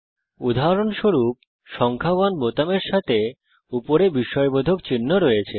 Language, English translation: Bengali, For example, the key with the numeral 1 has the exclamation mark on top